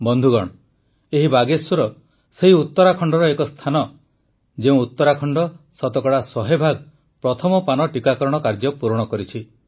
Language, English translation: Odia, Friends, she is from Bageshwar, part of the very land of Uttarakhand which accomplished the task of administering cent percent of the first dose